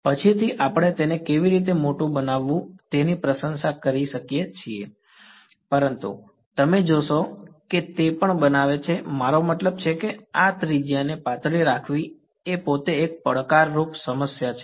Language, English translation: Gujarati, Later on we can sort of appreciate how to make it bigger, but you will find that even making the; I mean keeping this radius to be thin is itself a challenging problem